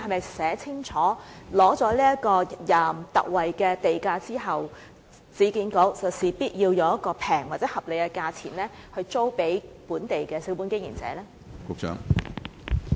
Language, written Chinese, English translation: Cantonese, 是否清楚寫明取得特惠地價後，市建局必須以廉價或合理價錢租給本地小本經營者呢？, Would it be better that a specific term be set out requiring URA to lease the shops to local small business operators in order to enjoy the concessionary land premium?